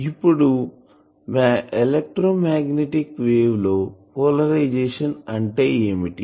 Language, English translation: Telugu, So, what is the polarisation of the, of an electromagnetic wave